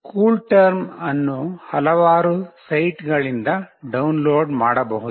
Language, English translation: Kannada, CoolTerm can be downloaded from several sites